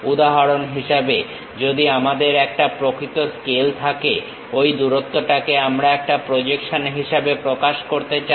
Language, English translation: Bengali, For example, if we have a real scale, that length we want to represent it as a projection